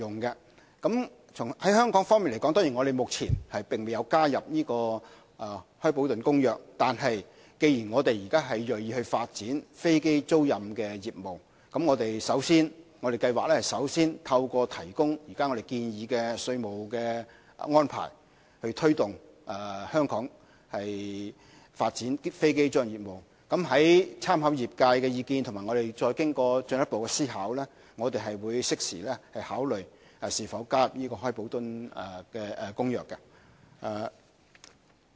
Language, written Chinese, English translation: Cantonese, 在香港方面，我們目前未有加入《開普敦公約》，但既然我們現在銳意發展飛機租賃的業務，我們計劃首先提供現時建議的稅務安排，以推動香港發展飛機租賃的業務，在參考業界的意見和經過進一步思考，會適時考慮會否加入《開普敦公約》。, As far as Hong Kong is concerned we are yet to join the Cape Town Convention . Given that we are determined to develop aircraft leasing business we plan to take forward the present tax arrangement proposal first so as to promote this industry in Hong Kong and we will further consider the way forward after considering the views of the industry players and decide whether or not to join the Convention at an opportune time